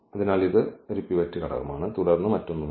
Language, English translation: Malayalam, So, this is going to be the pivot element and then nothing else